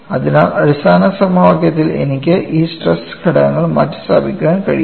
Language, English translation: Malayalam, So, I can substitute these stress components in the basic equation